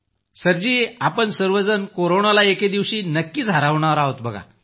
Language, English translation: Marathi, Sir, one day or the other, we shall certainly defeat Corona